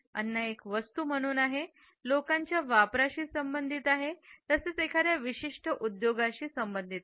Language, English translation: Marathi, Food as a commodity is related to the consumption by people as well as it is associated with a particular industry